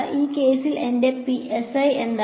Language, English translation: Malayalam, What is my psi in this case